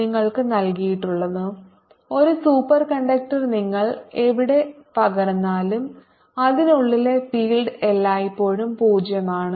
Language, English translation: Malayalam, what you're given is that a superconductor, no matter where you put it, the field inside is always zero